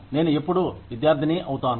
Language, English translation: Telugu, I am always going to be a student